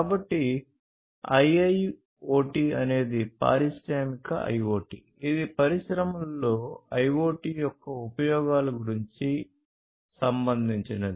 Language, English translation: Telugu, So, IIoT is Industrial IoT, which is about the applications of IoT in the industry